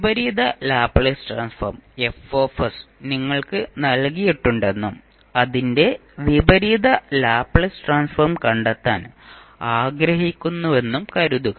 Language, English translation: Malayalam, Suppose, the inverse Laplace transform Fs is given to you and you want to find out its inverse Laplace transform